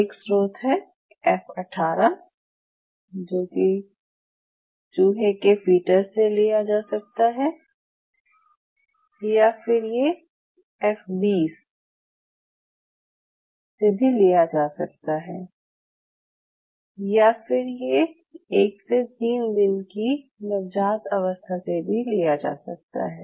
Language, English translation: Hindi, One source is your E 18 sorry, F 18 rat fetus or MUUSE fetus E 18 it could be F 18 it could be F 20 F 20 or it could be a neonatal, which is day one to day 3